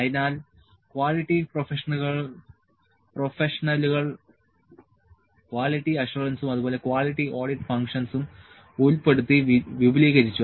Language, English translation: Malayalam, So, quality professional expanded to include quality assurance and quality audit functions